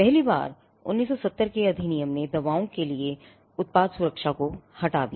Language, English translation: Hindi, So, the 1970 act for the first time, it removed product protection for medicines